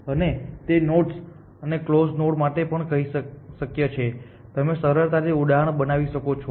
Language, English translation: Gujarati, And it is also possible for nodes and close you can easily construct an example